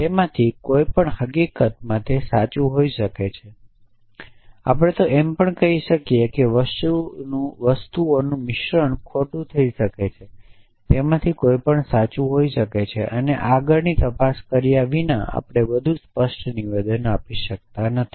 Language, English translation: Gujarati, Any of them could have been true in fact, we could have even said a combination of things could have gone wrong any of them could have been true and without further investigation we are not able to make a more definitive statement